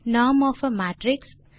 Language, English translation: Tamil, norm of a matrix